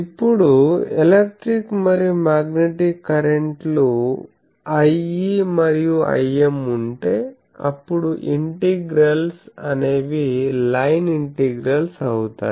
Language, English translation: Telugu, Now, if we have electric and magnetic currents I e and I m, then the integrals will become line integrals